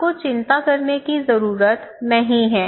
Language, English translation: Hindi, So, you do not need to worry